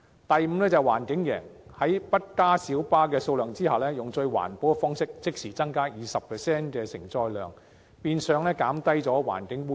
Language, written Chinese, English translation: Cantonese, 第五，環境贏，在不增加小巴數量的情況下，以最環保的方式即時增加 20% 承載量，變相減少環境污染。, Fifth the environment will win . As the carrying capacity of PLBs will instantly be increased by 20 % in the most environmental friendly way without having to increase the number of PLBs environmental pollution will be relieved